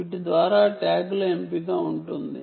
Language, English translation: Telugu, you have a choice of tags to by